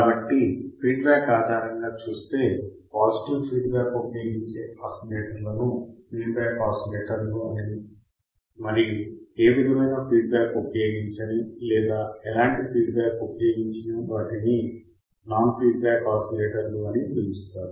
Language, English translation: Telugu, So, if I see based on the feedback the oscillators which use the positive feedback are called feedback type oscillators and those which does not use any or do not use any type of feedback are called non feedback type oscillators